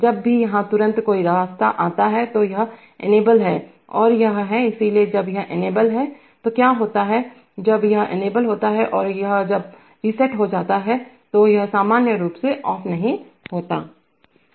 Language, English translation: Hindi, Whenever there is a path here immediately, this is enabled and this is, this is enabled, so when this is enabled, what happens is that, when this is enabled and this is now reset, no this is normally closed